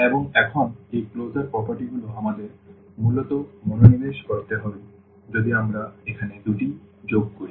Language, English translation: Bengali, And, now this closure properties we need to basically focus on if we add the 2 here